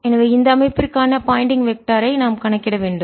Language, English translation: Tamil, now we have to calculate the pointing vector